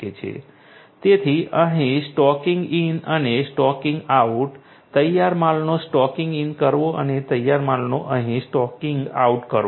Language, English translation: Gujarati, So, the stocking in and stocking out over here, stocking in of the finished goods and stocking out over here of the finished goods